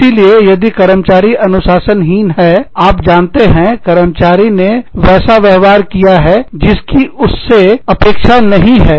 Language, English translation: Hindi, So, if an employee is indisciplined, has not, you know, has behaved in a manner, that is not expected of the employee